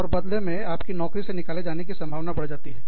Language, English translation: Hindi, And, that in turn, increases the chances of, you being laid off